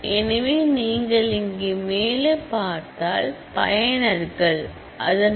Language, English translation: Tamil, So, if you look at the top here is the users